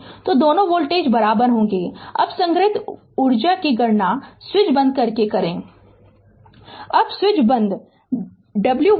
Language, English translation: Hindi, So, both voltage will be equal now we compute the stored energy with the switch closed